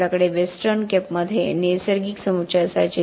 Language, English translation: Marathi, We used to have natural aggregates in the Western Cape